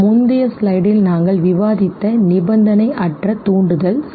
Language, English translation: Tamil, The unconditioned stimulus we discussed okay in the previous slide that